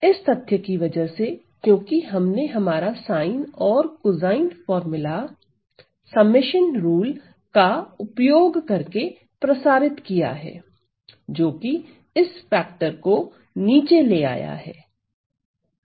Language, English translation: Hindi, Because of the fact that well we have expanded our sine and cosine formula using our summation rule; so that has brought down this factor here